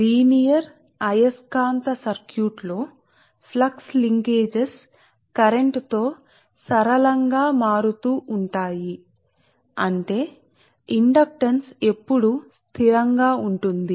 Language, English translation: Telugu, in a linear magnetic circuit, right, flux linkages vary linearly with the current right, such that the inductance always remain constant, right